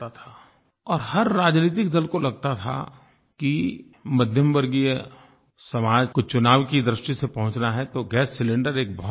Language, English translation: Hindi, And each political party felt that if they had to politically approach the middle class society, then gas cylinder was a major issue